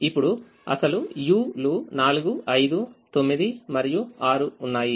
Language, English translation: Telugu, now the original u's were four, five, nine and six